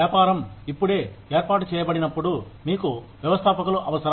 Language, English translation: Telugu, When the business is just being set up, you need entrepreneurs